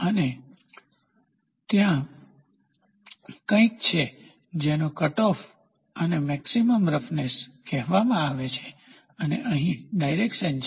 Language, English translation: Gujarati, And there is something called as cutoff and maximum roughness width and here is the direction